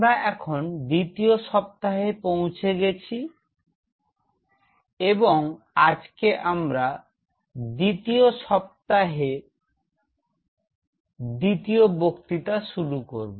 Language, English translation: Bengali, So, we are into the second week and today we are starting the second lecture of the second week